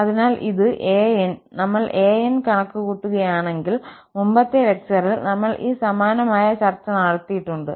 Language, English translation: Malayalam, And therefore, this an, if we compute an, we already had similar discussion in previous lecture